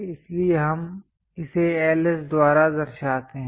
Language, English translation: Hindi, So, we represent it by Ls